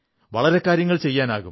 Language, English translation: Malayalam, We can do a lot